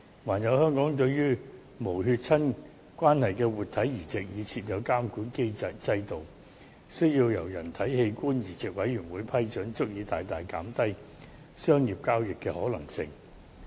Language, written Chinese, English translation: Cantonese, 此外，香港對於無血親關係的活體移植已設有監管制度，需要由人體器官移植委員會批准，這足以大大減低商業交易的可能性。, Moreover as Hong Kong has put in place a regulatory system that all living organ transplants among people who are not genetically related should be approved by the Human Organ Transplant Board it is adequate to curtail the possibility of commercial organ trading in Hong Kong